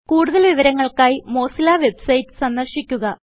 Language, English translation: Malayalam, For more information about this, please visit the Mozilla website